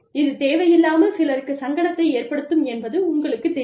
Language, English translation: Tamil, You know, that can unnecessarily make some people, uncomfortable